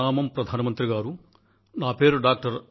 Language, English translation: Telugu, "Pranam Pradhan Mantri ji, I am Dr